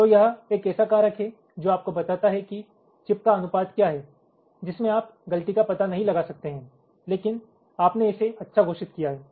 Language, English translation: Hindi, ok, so this is a factor which tells you that what is the proportion of the chip which you cannot detect a fault but you have declared it as good